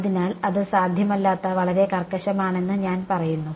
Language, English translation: Malayalam, So, I say that is too rigorous that is not possible